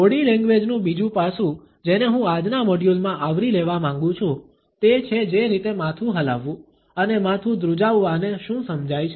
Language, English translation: Gujarati, Another aspect of body language which I want to cover in today’s module, is the way head nods and shaking of the head is understood